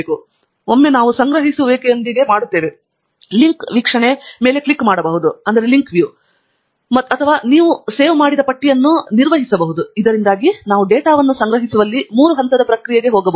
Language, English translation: Kannada, and once we are done with collecting, then we can click on the link view or manage your save lists, so that we can go to a three step process in collecting the data